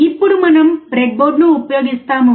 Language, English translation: Telugu, Now we use the breadboard